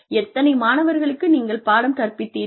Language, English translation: Tamil, How many students, did you teach